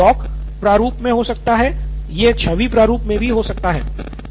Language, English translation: Hindi, So it could be in doc format or it could even be in image format